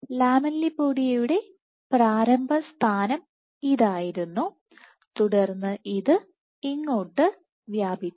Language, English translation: Malayalam, So, this was the initial position of the lamellipodia and it extended to here